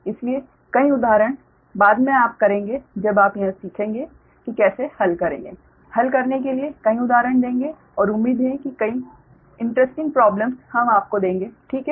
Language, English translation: Hindi, so many examples later we will, you know, when you will learn this, we will give many example to solve and hopefully, uh, many interesting problems